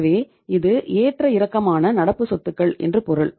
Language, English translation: Tamil, So it means this is the fluctuating current assets